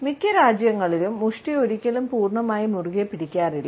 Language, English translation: Malayalam, Whereas in most of the countries we would find that the fist is never totally clenched